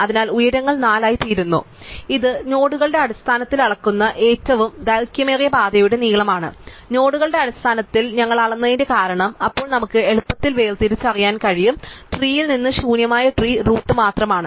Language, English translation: Malayalam, So, the heights become 4 it is a length of the longest path measured in terms of nodes, the reason we measured in terms of nodes is, then we can distinguish easily, the empty tree from the tree with only a root